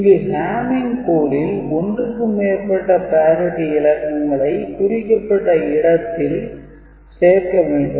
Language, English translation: Tamil, So, Hamming code is something where we are putting not one parity bit more than one parity bit at specific positions